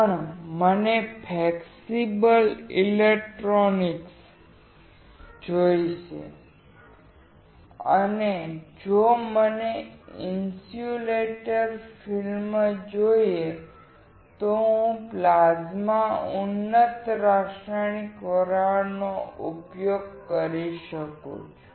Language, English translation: Gujarati, But if I want to have flexible electronics and if I want the insulator film, then I can use plasma enhanced chemical vapor deposition